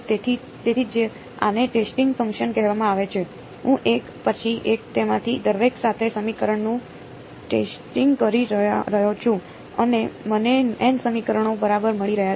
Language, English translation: Gujarati, So, that is why these are called testing functions, I am testing the equation with each one of them one after the other and I am getting n equations right